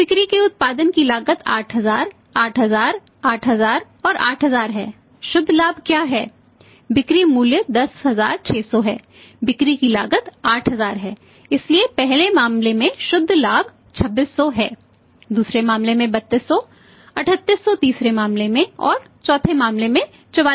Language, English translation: Hindi, So, cost of production of the cost of sales is 8000, 8000, 8000 and 8000 what is the net profit selling price is 10600 cost of sales is 8000 so net profit is 2600 first case, 3200 in the second case, 3800 in the third case and 4400 in the fourth case